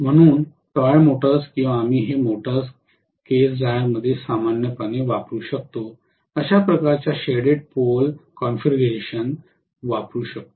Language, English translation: Marathi, So toy motors or we may use this normally in hair dryer in those cases, we may be using this kind of shaded pole configuration